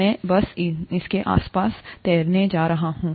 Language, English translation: Hindi, I’m just going to float this around